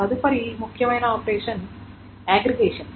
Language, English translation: Telugu, The next important operation is aggregation